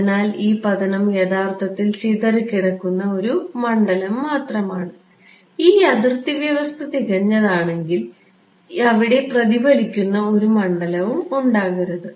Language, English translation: Malayalam, So, this incident is actually a scattered field only and if this a boundary condition was perfect, there should not be any reflected field